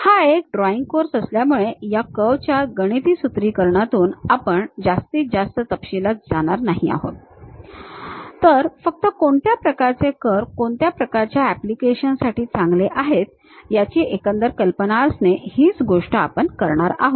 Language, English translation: Marathi, Because it is a drawing course we are not going too many details into mathematical formulation of these curves ah, but just to have overall idea about what kind of curves are good for what kind of applications, that is the thing what we are going to learn about it